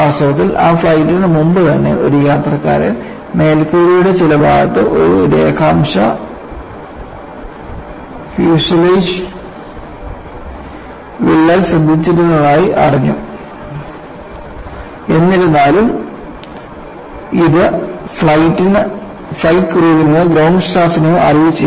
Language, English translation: Malayalam, And in fact, even before for that flight, it appearsthat a passenger had noticed there a longitudinal fuselage crack in some portion of the roof; however, it was not communicated to flight crew or ground staff